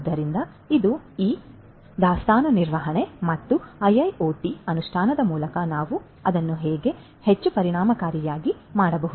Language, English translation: Kannada, So, this is this inventory management and how we can make it much more efficient through the implementation of IIoT